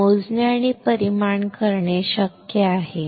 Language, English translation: Marathi, That is possible to a to measure and quantify